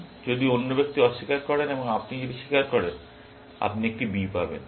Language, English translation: Bengali, If the other person denies, and if you confess, you will get a B